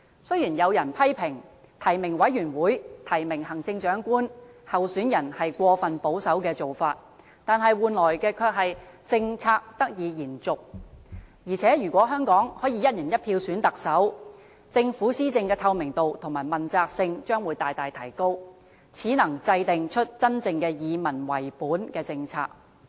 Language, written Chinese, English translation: Cantonese, 雖然有人批評提名委員會提名行政長官候選人是過分保守的做法，但換來的卻是政策得以延續，而且如果香港可以"一人一票"選特首，政府施政的透明度和問責性將會大大提高，始能真正制訂出真正以民為本的政策。, Although the approach of nominating the Chief Executive candidates by a nominating committee has been criticized as being too conservative this approach allows the continuation of policies . Besides if Hong Kong can have its Chief Executive elected by one person one vote the transparency and accountability of governance can be greatly enhanced . This is the only way to formulate truly people - oriented policies